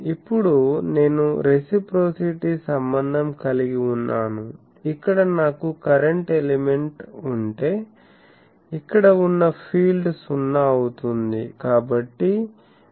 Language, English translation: Telugu, Now I invoke reciprocity so if I have a current element here, what will be the field here that is 0